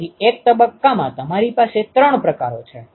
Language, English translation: Gujarati, So, in single phase you have three types ok